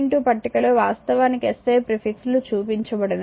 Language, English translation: Telugu, 2 it is actually will see that the SI prefixes